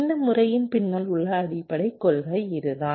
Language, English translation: Tamil, this is the basic principle behind this method